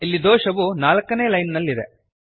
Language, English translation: Kannada, Here the error is in line number 4